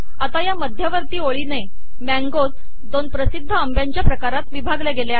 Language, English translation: Marathi, So this central line has split the mangoes into two of the most popular mangoes in India